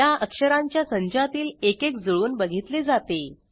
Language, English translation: Marathi, One out of this group of characters is matched